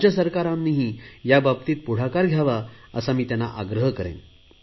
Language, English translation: Marathi, And I will request the state governments to take this forward